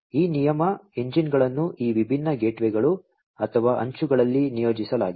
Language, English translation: Kannada, These rule engines are deployed at these different gateways or the edges